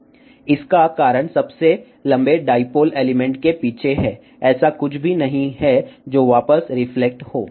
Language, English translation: Hindi, The reason for that is behind the longest dipole element, there is a nothing, which is reflecting back